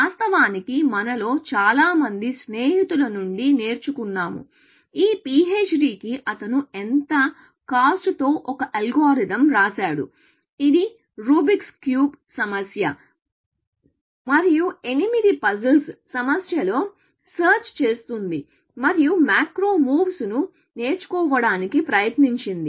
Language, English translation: Telugu, Of course, most of us learned from friends, at what cost rate for this PHD work was that he wrote an algorithm, which will search in the Rubics cube problem and the eight puzzles problem, and tried to learn macro move, essentially